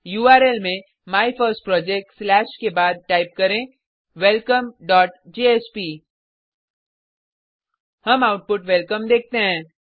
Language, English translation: Hindi, In the url after MyFirstProject slashtype welcome.jsp We see the output Welcome